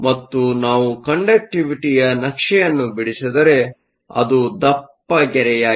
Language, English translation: Kannada, And if we plot the conductivity, which is the solid line, we get a curve like this